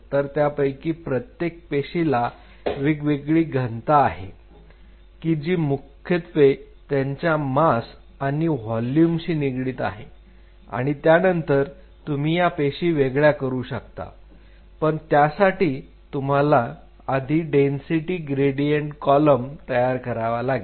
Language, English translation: Marathi, So, each one of these cells will have different densities based on their density which is essentially masses to volume ratio you can separate these cells what one has to one has to do is one has to create a density gradient column